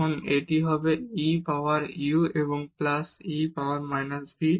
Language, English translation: Bengali, e power u plus e power minus v